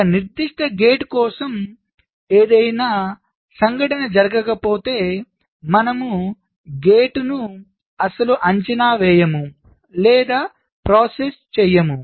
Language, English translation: Telugu, so for a particular gate, if there is no event occurring, we do not evaluate or process the gate at all